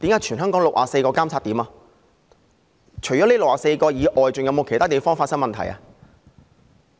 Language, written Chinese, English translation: Cantonese, 除了這64個監測點外，還有否其他地方發生問題？, Apart from these 64 monitoring points did any problem arise at any other place?